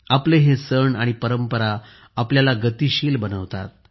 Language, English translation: Marathi, These festivals and traditions of ours make us dynamic